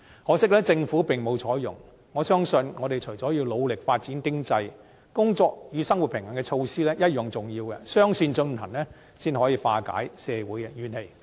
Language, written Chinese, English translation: Cantonese, 可惜，政府並無採用，我相信我們除了要努力發展經濟，"工作與生活平衡"措施同樣重要，雙線進行，才可化解社會的怨氣。, Regrettably the Government has failed to do so . I believe that apart from striving to pursue economic development we need to accord equal importance to work - life balance measures . Only by adopting a two - track approach can social grievances be dispelled